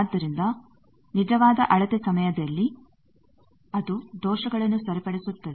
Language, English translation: Kannada, So, actual measurement time it can correct that for those error